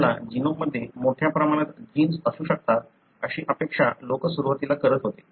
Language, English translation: Marathi, In the beginning people have been expecting there could be a large number of genes that our genome could have